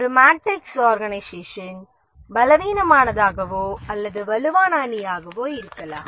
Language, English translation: Tamil, A matrix organization can be either a weak or a strong matrix